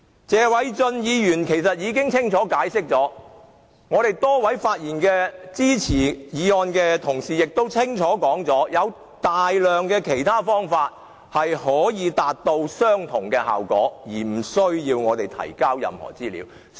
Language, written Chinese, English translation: Cantonese, 謝偉俊議員已清楚解釋，多位發言支持議案的同事亦清楚說明大量其他可達至相同效果的方法，而無須提交任何資料。, As Mr Paul TSE has clearly explained many Members who just spoke in support of the motion has clearly suggested quite a number of alternatives which can serve the same purpose sparing the need for submitting any information